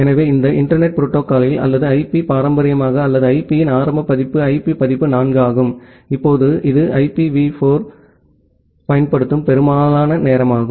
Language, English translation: Tamil, So, this internet protocol or the IP traditionally or the initial version of IP was IP version 4, and now it is also most of the time we use IPv4